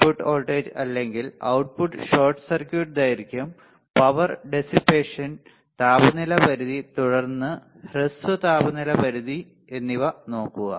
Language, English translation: Malayalam, Input voltage or output short circuit duration, power dissipation, temperature range, and then short temperature range